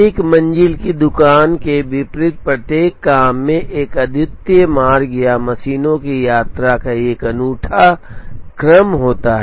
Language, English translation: Hindi, Unlike a floor shop each job has a unique route or a unique order of visit of the machines